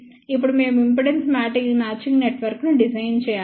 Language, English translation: Telugu, Now, we have to design the impedance matching network